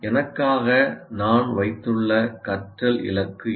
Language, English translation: Tamil, So now what is the learning goal I have put for myself